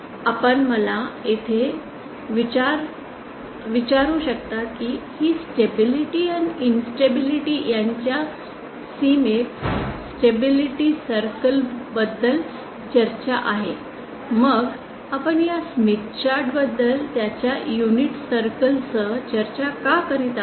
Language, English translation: Marathi, You might ask me here these are talk about stability circle in the boundary between stability and instability then why are we discussing about this smith chart with its unit circle